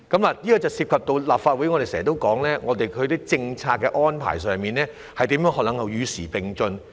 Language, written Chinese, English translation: Cantonese, 這點涉及我們在立法會內經常說的問題：政策安排如何能與時並進？, This point has something to do with an issue oft - mentioned by us in the Legislative Council How can the policy arrangements keep abreast with the times?